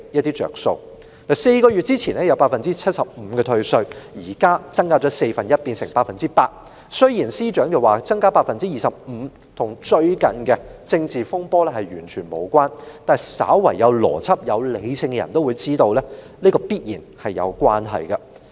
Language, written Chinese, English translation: Cantonese, 退稅率由4個月前的 75%， 增至現在的 100%， 雖然司長說增加這25個百分點與最近的政治風波完全無關，但稍為有邏輯和理性的人也會知道當中必然有關係。, The tax rebate rate has been raised from 75 % four months ago to 100 % today . Despite the Secretarys categorical denial all those with a logical and rational mind know that there must be a connection between the 25 percentage point rise and the recent political controversy